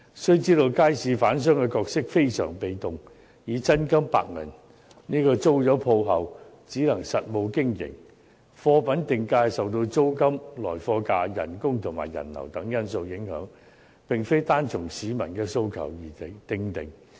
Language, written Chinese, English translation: Cantonese, 須知道，街市販商的角色非常被動，他們以真金白銀租鋪後，只能實務經營，貨品定價受到租金、來貨價、工資和人流等因素影響，並非單按市民的訴求而訂定。, After renting the stalls with cold hard cash they can only operate the business in a practical manner . The pricing of their goods is affected by such factors as rents prices of the goods supplied wages and customer flow . It is not solely determined by the peoples demand